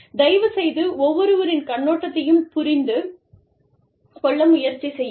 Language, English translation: Tamil, Please, try and understand, each other's point of view